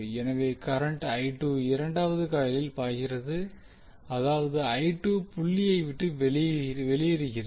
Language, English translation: Tamil, So the current is flowing I 2 is flowing in the second coil that means that I2 is leaving the dot